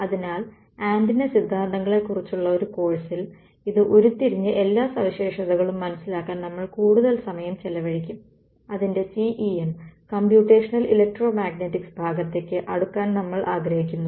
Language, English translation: Malayalam, So, in a course on the antenna theory we would spend a lot more time deriving this and understanding all the features, we want to sort of get to the CEM Computational ElectroMagnetics part of it